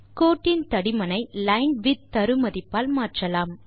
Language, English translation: Tamil, The thickness of the line can be altered by linewidth argument